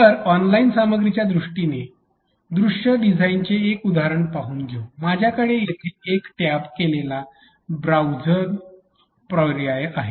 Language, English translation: Marathi, So, looking at proximity as a example of visual design in terms of online content for example, I have here is tabbed browsing option